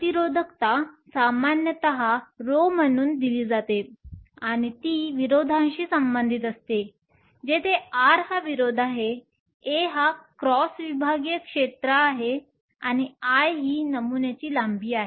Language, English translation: Marathi, Resistivity is typically given as row and it is related to the resistance by; where R is the resistance, A is the cross sectional area and l is the length of the sample